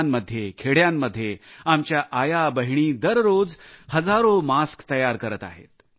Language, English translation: Marathi, In villages and small towns, our sisters and daughters are making thousands of masks on a daily basis